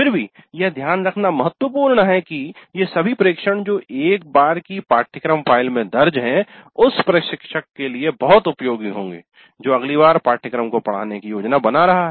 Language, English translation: Hindi, Still it is important to note that all these abbreviations which are recorded in a kind of a course file would be very helpful for the instructor who is planning to teach the course the next time